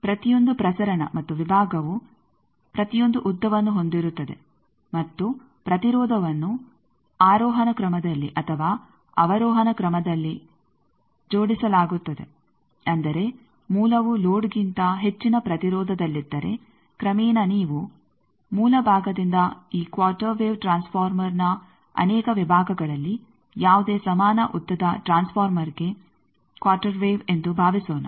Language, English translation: Kannada, Also each of the transmission and section have each lengths and impedance's are arranged in either of ascending order or descending order meaning is that, if the source is at higher impedance than load then gradually you may the from source side suppose there are multiple sections of this quarter wave transformer, quarter wave for any equal length transformer